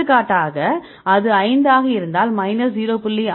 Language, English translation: Tamil, For example if it is 5, right we get the correlation of minus 0